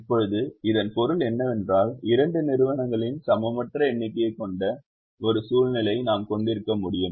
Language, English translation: Tamil, can now, which means, can we have a situation where we have an unequal number of the two entities